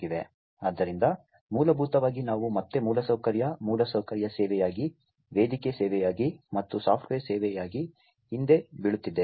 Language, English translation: Kannada, So, essentially we are again falling back on infrastructure infrastructure as a service, platform as a service, and software as a service